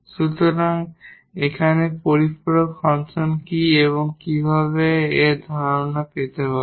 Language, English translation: Bengali, So, here what is the complementary function and how to get this idea we will; we will give now